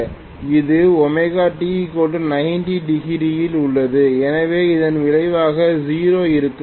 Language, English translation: Tamil, This is at omega t equal to 90 so the resultant will be 0